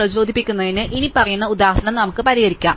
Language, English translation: Malayalam, So, to motivate the problem, let us consider the following example